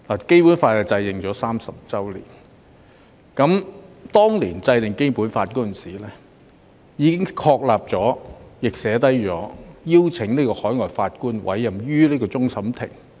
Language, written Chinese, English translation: Cantonese, 《基本法》已頒布30年，當年制定《基本法》時，已經訂明終審法院可邀請海外法官參加審判。, It has been 30 years since the promulgation of the Basic Law . Back then in the formulation of the Basic Law it already provided that CFA might invite overseas judges to participate in the adjudication of cases if required